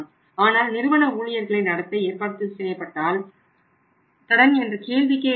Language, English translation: Tamil, But if it is being organised by the company employees there is no question of credit